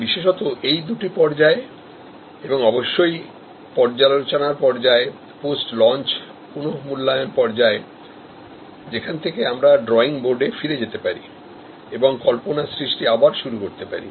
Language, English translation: Bengali, Particularly, in these two stages and of course, at the review stage, post launch review stage, where we can go back to the drawing board and start again with idea generation